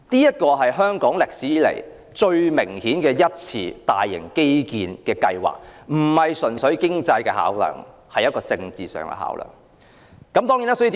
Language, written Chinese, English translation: Cantonese, 這是香港歷史上最明顯的大型基建計劃，而且並非純粹經濟的考量，是政治上的考量。, This is the most evident major infrastructure project in the history of Hong Kong and it was implemented not purely out of economic considerations but also political considerations